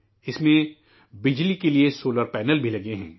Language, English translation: Urdu, It has solar panels too for electricity